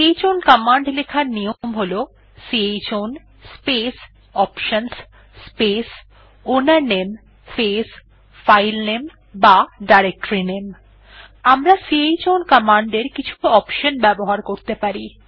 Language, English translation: Bengali, The syntax of chown command is chown space options space ownername space filename or directoryname We may give following options with chown command